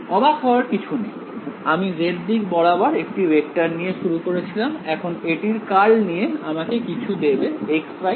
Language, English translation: Bengali, Not surprising, I started with a vector in the z direction curl of it give me something in the x y plane right, so this is my equation